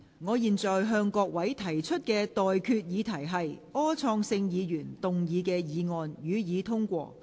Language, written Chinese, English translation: Cantonese, 我現在向各位提出的待決議題是：柯創盛議員動議的議案，予以通過。, I now put the question to you and that is That the motion moved by Mr Wilson OR be passed